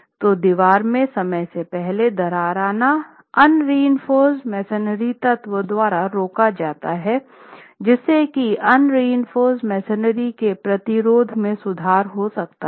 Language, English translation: Hindi, So, premature cracking of the un reinforced masonry wall is prevented by the tie element, thereby that confinement can improve the shear resistance of the unreinforced masonry wall